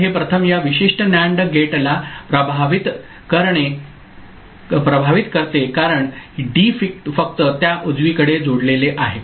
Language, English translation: Marathi, So, it first affects this particular NAND gate because D is connected only to that right